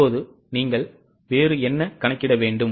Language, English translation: Tamil, Now what else you are required to calculate